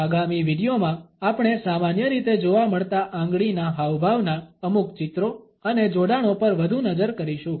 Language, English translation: Gujarati, In the ensuing video we look further at certain illustrations and associations of commonly found finger gestures